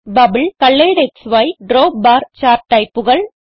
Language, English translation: Malayalam, Bubble, ColoredXY and DropBar chart types and 4